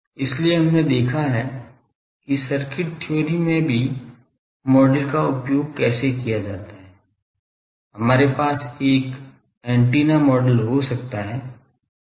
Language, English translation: Hindi, So, we have seen how to model using even in circuit theory, we can have this antenna model